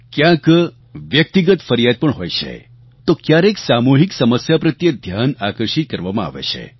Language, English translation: Gujarati, There are personal grievances and complaints and sometimes attention is drawn to community problems